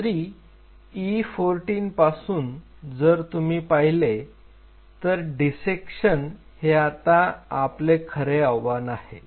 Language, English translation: Marathi, So, from E 14, if you look at how you are going to isolate so there is a dissection challenge here